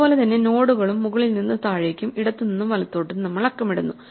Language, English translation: Malayalam, In the same way, we number the nodes also top to bottom, left to right